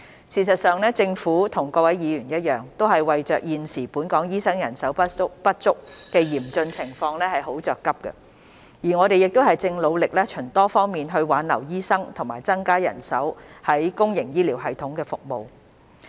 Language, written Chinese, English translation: Cantonese, 事實上，政府與各位議員一樣，為現時本港醫生人手不足的嚴峻情況而很着急，我們亦正努力循多方面挽留醫生和增加人手於公營醫療系統服務。, In fact like all Members the Government is very anxious about the acute shortage of doctors in Hong Kong nowadays and we are making every effort to retain doctors and increase manpower in the public healthcare system through various means